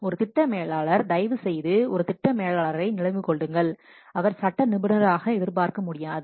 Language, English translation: Tamil, A project manager, please remember a project manager, he cannot be expected to be legal expert